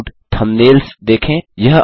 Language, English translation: Hindi, Look at the layout thumbnails